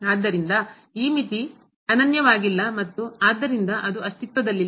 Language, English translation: Kannada, So, this limit is not unique and hence it does not exist